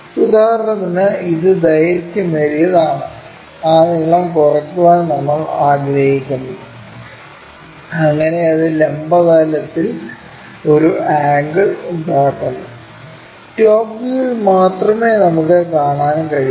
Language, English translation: Malayalam, For example, this is the longer one, we want to decrease that length, so that it makes an angle with the vertical plane, that we can see only in the top view